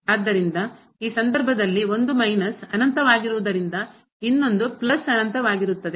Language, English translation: Kannada, So, in this case since one is minus infinity another one is plus infinity